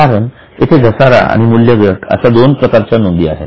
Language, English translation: Marathi, Because there are two items, depreciation and amortization